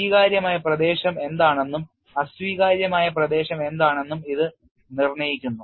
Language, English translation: Malayalam, It demarcates what is the acceptable region and what is an unacceptable region